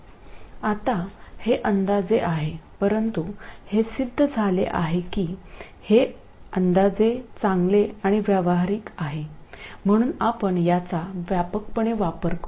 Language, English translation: Marathi, Now this is approximate but it turns out that this approximation is quite good in a lot of practical context so we will use this widely